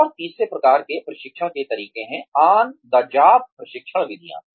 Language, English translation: Hindi, And, the third type of training methods are, on the job training methods